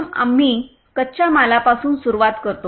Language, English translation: Marathi, Firstly, we start with raw materials